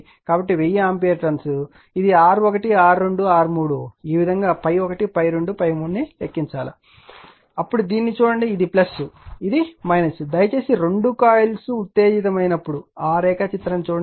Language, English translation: Telugu, So, 1000 ampere ton this is R 1 R 2 R 3, this way you have to compute phi 1 phi 2 phi 3, then look at this one this is plus, this is minus right like you please come to that diagram, when both the coils are excited